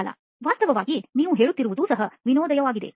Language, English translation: Kannada, actually, what you are saying is also a lot of fun